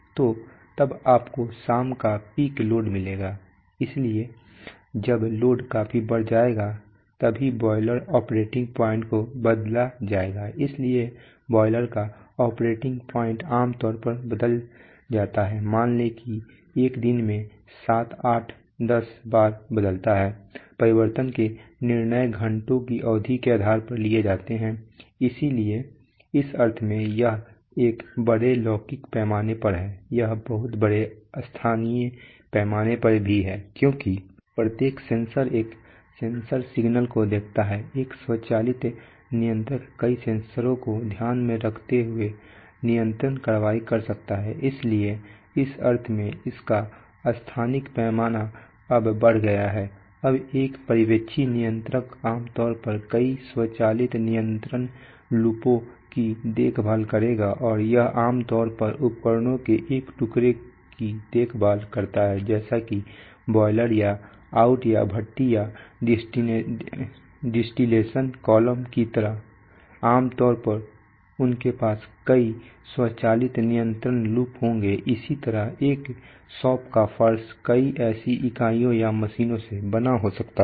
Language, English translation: Hindi, So then you will get the evening peak load, so when only when the load will significantly increase will the boiler operating point be changed right, so the operating point of a boiler typically gets changed, let us say seven eight ten times over a day and it is change is also based on the I mean the decisions for change are taken based on periods of hours right so in that sense it is it is on a larger temporal scale it is also on a on a on a much larger spatial scale because, Every sensor, one sensor looks at one signal, one automatic controller may be taking control action taking several sensors into account, so in that sense it its spatial scale is now increased now one supervisory controller will typically look after a number of automatic control loops and it typically looks after one piece of equipment like a like a like a boiler or out or a or a furnace or a distillation column typically they will have many automatic control loops, similarly a shop floor may be made of several such units or machines